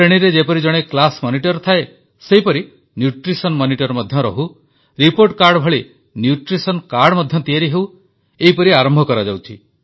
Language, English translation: Odia, Just like there is a Class Monitor in the section, there should be a Nutrition Monitor in a similar manner and just like a report card, a Nutrition Card should also be introduced